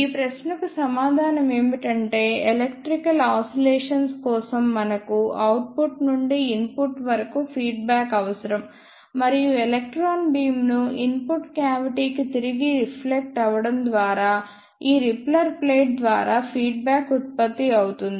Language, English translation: Telugu, The answer to this question is that for electrical oscillations we need feedback from output to input and that feedback is produced by this repeller plate by reflecting the electron beam back to the input cavity